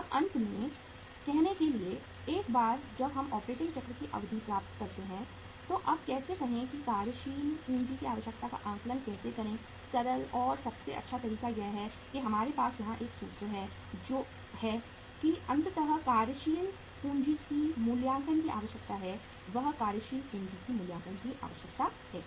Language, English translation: Hindi, Now finally, for say once we get the duration of the operating cycle how to now make the say how to assess the working capital requirement the simple and the best way to do that is that we have a formula here that finally the say working capital requirement assessment, that is working capital requirement assessment